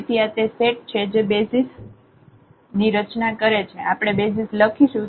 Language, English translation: Gujarati, So, this is a set which form a basis we are writing a basis